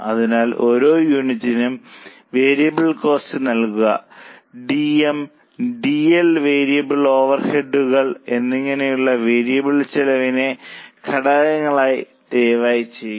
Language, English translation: Malayalam, So, please write down the elements of variable cost which is DM, DL and variable overheads which gives us variable cost per unit